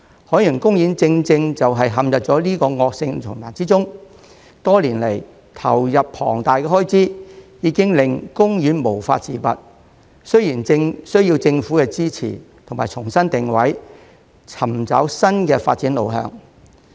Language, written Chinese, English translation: Cantonese, 海洋公園正正是陷入這個惡性循環中，多年來投入了龐大的開支，已經令公園無法自拔，需要政府支持，重新定位，尋找新的發展路向。, Given the huge injections made to meet the expenditures over the years OP has been plunged into an inextricable dilemma . It is in need of government support to reposition itself and identify a new direction for development